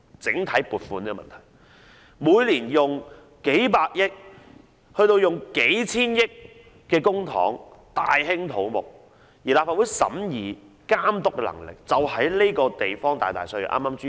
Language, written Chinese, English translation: Cantonese, 政府每年動用數百億元甚至數千億元的公帑大興土木，而立法會對此的審議和監督能力卻大大削弱。, While the Government deploys tens of billions or even hundreds of billions of dollars to carry out large - scale construction works every year the Legislative Councils ability to examine and supervise such projects will be substantially undermined